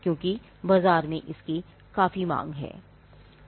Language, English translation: Hindi, Because there is a great demand in the market